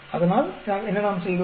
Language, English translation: Tamil, So, what we did